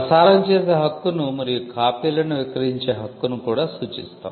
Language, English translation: Telugu, We also referred to the right to broadcast and also the right to sell the copies